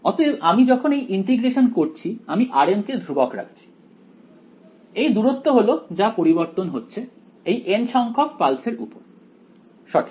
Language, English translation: Bengali, So, when I am doing this integration I am r m is being held constant this distance is what is varying over where over this n th pulse correct